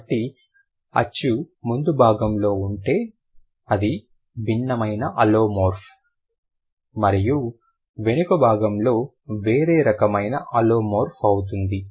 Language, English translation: Telugu, So, if the vowel is at the front, that is a different kind of alomorph and at the back that is a different kind of alumov